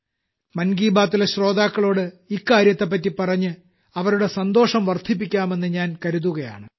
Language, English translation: Malayalam, So I thought, by telling this to the listeners of 'Mann Ki Baat', I should make them happy too